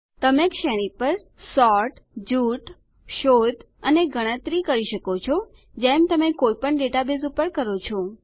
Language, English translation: Gujarati, You can sort, group, search, and perform calculations on the range as you would in any database